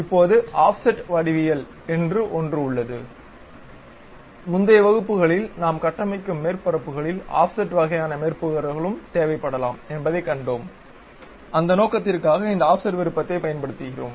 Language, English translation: Tamil, Now, there is something named Offset geometries; in the earlier classes we have seen when surfaces we are constructing we may require offset kind of surfaces also, for that purpose we use this Offset Entities